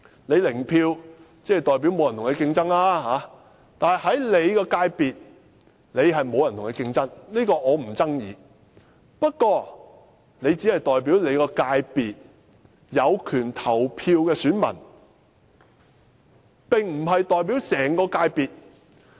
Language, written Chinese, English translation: Cantonese, "零票"代表沒有人與他競爭，我且不爭議其界別沒有人與他競爭這一點，但他只是代表其界別有權投票的選民，並非代表整個界別。, Zero vote means they are elected without any contest . Whether these Members were returned uncontested or not I will not challenge this point for the moment . But these Members only represent a fraction of the people not everyone in their industries who have a right to vote